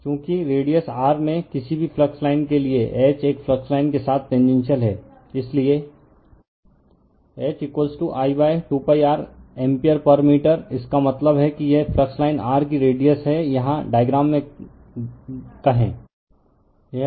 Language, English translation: Hindi, Since, H is tangential all along a flux line, for any flux line in radius r right, so H is equal to I upon 2 pi r ampere per meter that means, this is the radius of a flux line of r say here in the diagram